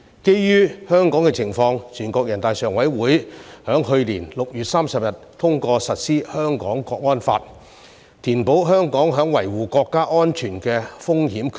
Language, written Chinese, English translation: Cantonese, 基於香港的情況，全國人大常委會在去年6月30日通過實施《香港國安法》，填補香港在維護國家安全的風險缺口。, In view of the situation in Hong Kong the Standing Committee of the National Peoples Congress passed the Hong Kong National Security Law on 30 June last year to fill the risk gap in the protection of national security in Hong Kong